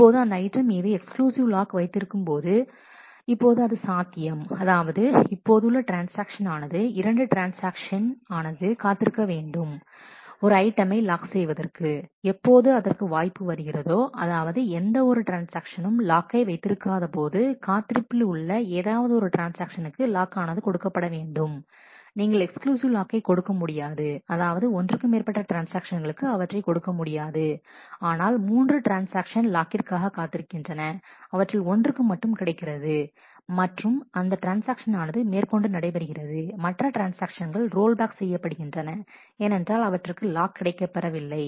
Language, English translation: Tamil, Now holding an exclusive lock on the item, now it is possible that like the current transaction there may be couple of other transactions who are also waiting for a lock on that item and, when the opportunity comes that there is no log being held by any transaction, one of the waiting transactions must be given the lock you cannot if it is an exclusive lock you cannot give it to more than 1 transaction, but say 3 transactions were waiting for the exclusive lock and one of them get, that and that transaction can proceed the other transactions have to rollback because, they are not getting the lock